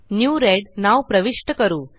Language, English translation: Marathi, Lets enter the name New red